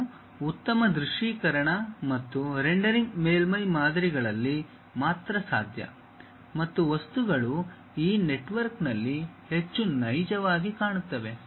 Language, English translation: Kannada, And, better visualization and visualization and rendering is possible only on surface models and the objects looks more realistic in this network